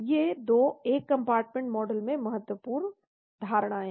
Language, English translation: Hindi, These 2 are important assumptions in one compartment model